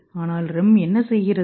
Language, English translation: Tamil, But what is REM doing